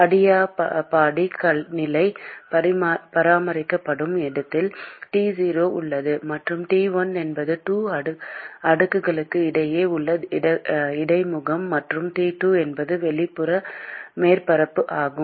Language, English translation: Tamil, T0 is at the location where the adiabatic condition is maintained and T1 is the interface between the 2 slabs and T2 is the exterior surface